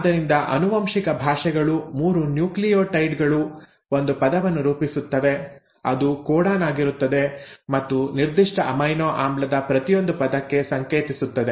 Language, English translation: Kannada, So the genetic languages, the 3 nucleotides come together to form one word which is the codon and each word codes for a specific amino acid